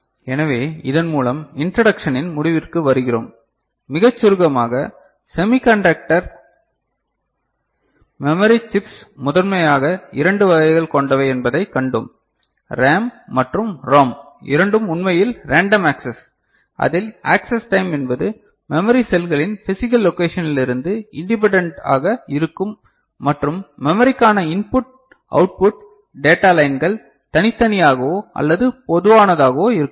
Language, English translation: Tamil, So, with this we conclude the introduction to memory and what we have seen very briefly that semiconductor memory chips are primarily of two types, RAM and ROM both are actually random access, where the access time is independent of physical location of the memory cells and input output data lines to memory can be separate or common, ok